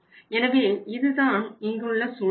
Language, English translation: Tamil, So this is the situation here